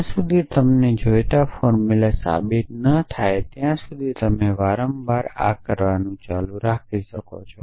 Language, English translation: Gujarati, You keep doing this repeatedly till you have proved the in formula that you are interested in essentially